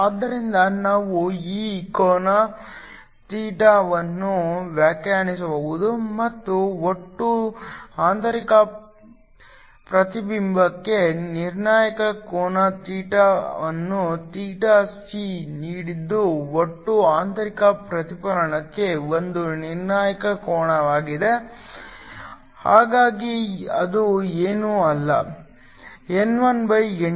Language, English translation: Kannada, So, We can define this angle theta and the critical angle theta for total internal reflection is given by theta c is a critical angle for total internal reflection, so which is nothing but